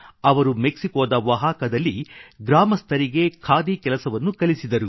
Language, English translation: Kannada, He introduced the villagers of Oaxaca in Mexico to khadi and trained them